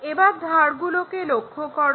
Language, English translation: Bengali, Now, let us look at edges